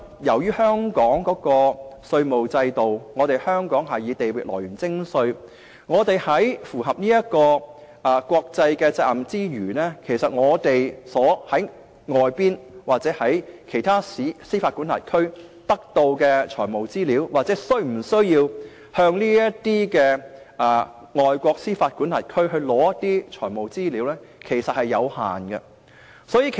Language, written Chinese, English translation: Cantonese, 由於香港的稅務制度是以地域來源徵稅，我們在符合國際責任之餘，從外國或其他司法管轄區得到的財務資料有限，對於是否需要向這些外國司法管轄區索取財務資料所知亦有限。, Since Hong Kong adopts the Territorial Source Principle of Taxation in fulfilling international responsibilities the financial information we have to get from foreign countries or other jurisdictions is limited and we also have limited knowledge on whether we need to obtain financial information from these foreign jurisdictions